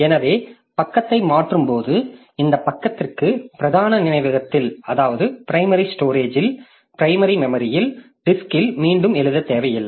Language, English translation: Tamil, So, while replacing the page, so I don't need to write back this page into main memory into the disk